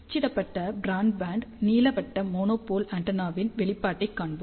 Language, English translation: Tamil, Let us see the result of a printed broadband elliptical monopole antenna